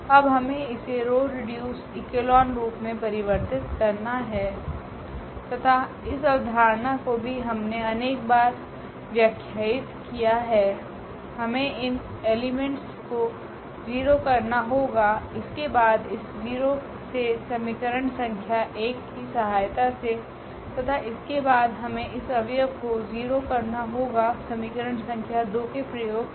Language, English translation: Hindi, Now we need to reduce it to the row reduced echelon form and that idea is also we have explained several times we need to make this elements 0, then this element 0 with the help of this equation number 1 and then we need to make this element 0 with the help of the equation number 2